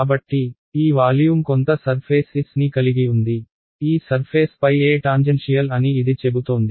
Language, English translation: Telugu, So, this volume has some surface S, this is saying that E tangential over this surface